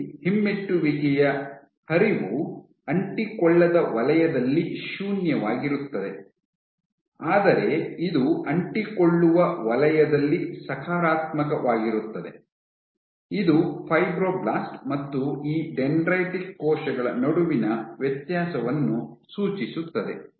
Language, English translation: Kannada, So, here retrograde flow is zero, in the non adherent zone, but it is positive in the adherent zone which suggests that the difference between fibroblast and these dendritic cells, for a dendritic cell let us say